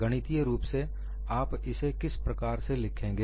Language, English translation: Hindi, Mathematically, how will you write it